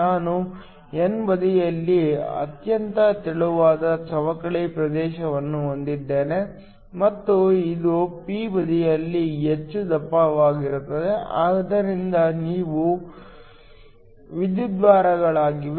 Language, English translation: Kannada, I have a very thin depletion region on the n side and it is lot more thicker on p the side, so these are electrodes